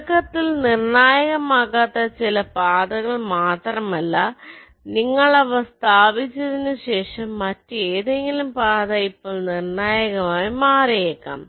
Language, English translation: Malayalam, not only that, some of the paths which might not be critical initially, but after you have placed them maybe some other path has now become critical